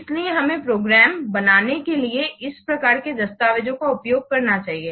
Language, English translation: Hindi, What kind of documents are required to create a program